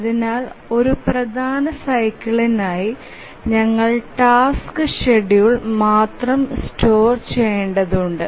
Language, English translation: Malayalam, So, we need to store only the task schedule for one major cycle